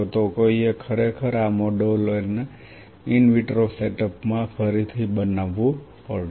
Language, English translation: Gujarati, One really has to recreate these models in an in vitro setup